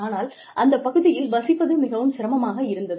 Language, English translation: Tamil, But, it is very difficult to live in that region